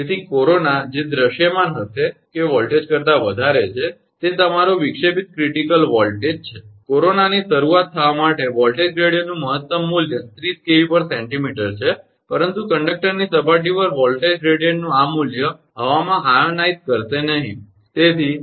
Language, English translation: Gujarati, So, the corona which will be visible that voltage is greater than, the your disruptive critical voltage, for starting of corona maximum value of voltage gradient is 30 kilovolt per centimetre, but this value of the voltage gradient at the surface of the conductor, will not ionize the air right